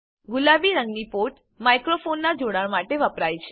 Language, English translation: Gujarati, The port in pink is used for connecting a microphone